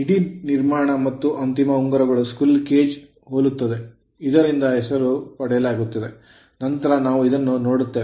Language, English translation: Kannada, The entire construction bars and end ring your resembles squirrel cage from which the name is derived, later we will see this right